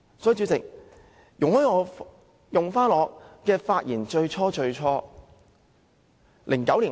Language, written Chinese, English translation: Cantonese, 主席，請容許我複述我發言的開場白。, President please allow me to repeat my opening remark